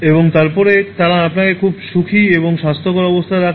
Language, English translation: Bengali, And then they will also keep you in a very happy and healthy condition